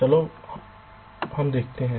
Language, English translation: Hindi, lets first see